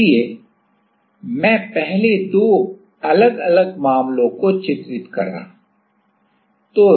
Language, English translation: Hindi, So, I am first drawing two different cases